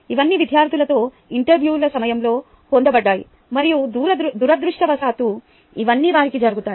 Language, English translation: Telugu, ok, all these were obtained during interviews with the students, right and uh, unfortunately, all these happen to them